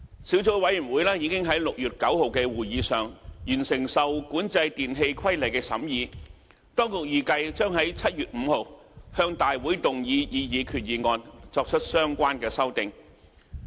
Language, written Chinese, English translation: Cantonese, 小組委員會已在6月9日的會議上完成《受管制電器規例》的審議，當局預計將在7月5日向立法會動議擬議決議案，作出相關修訂。, Given the completion of scrutiny of the REE Regulation by the Subcommittee at its meeting on 9 June the proposed resolution is expected to be moved in the Legislative Council on 5 July for the relevant amendments to be introduced